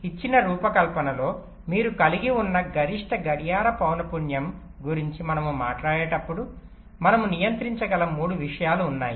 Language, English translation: Telugu, ok, so when we talk about the maximum clock frequency that you can have in a given design, there are three things that we can possibly control